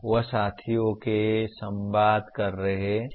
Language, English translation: Hindi, That is communicating with peers